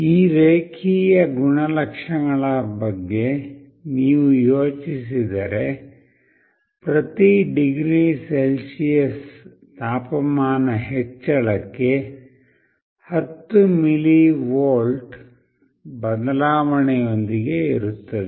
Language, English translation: Kannada, If you think of these linear characteristics, it is like there will be with 10 millivolt change for every degree Celsius increase in temperature